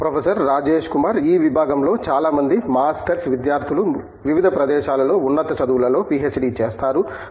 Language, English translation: Telugu, Most of the masters students in this department go for their PhD's in higher studies at different places